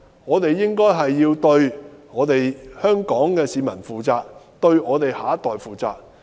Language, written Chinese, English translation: Cantonese, 我們應該要對香港市民負責，對我們的下一代負責。, We should be responsible to the people of Hong Kong and our next generation